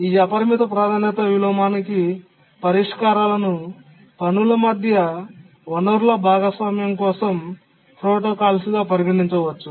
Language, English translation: Telugu, The solutions to the unbounded priority inversion are called as protocols for resource sharing among tasks